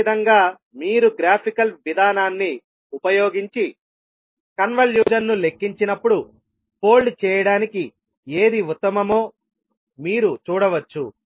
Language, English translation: Telugu, Similarly when you actually calculate the convolution using the graphical approach you can see which one is the best for the folding